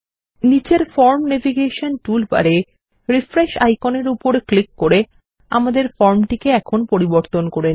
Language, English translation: Bengali, Let us now refresh the form by clicking on the Refresh icon in the Form Navigation toolbar at the bottom